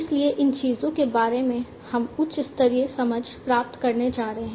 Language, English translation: Hindi, So, these things we are going to get a high level understanding about